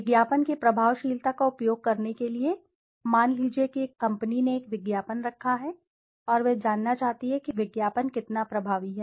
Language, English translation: Hindi, To access the advertising effectiveness suppose a company has placed an ad and he wants to know how effective the ad is